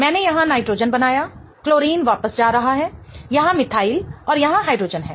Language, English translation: Hindi, I form nitrogen here, chlorine going back, methyl here and hydrogen here